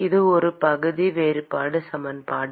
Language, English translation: Tamil, This is a partial differential equation